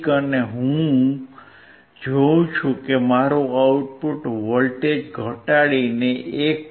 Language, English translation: Gujarati, And I see that my output voltage has been reduced to 1